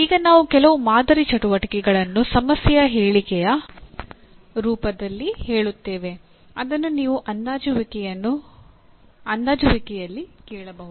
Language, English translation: Kannada, Now some sample activities which we will state in the form of let us say a kind of a problem statement what you can ask in assessment